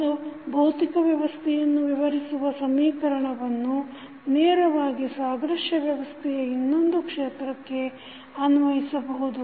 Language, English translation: Kannada, One is that, the solution of this equation describing one physical system can be directly applied to the analogous system in another field